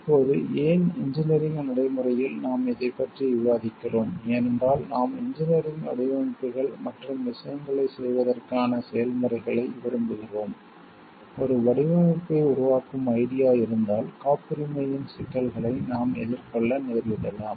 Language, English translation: Tamil, Now, why in engineering practice we are discussing about this because while we are looking for engineering designs and like processes of doing things; maybe we will be facing issues of patent like if you have an idea of developing a design